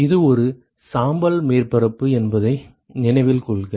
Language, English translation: Tamil, Note that this is a gray surface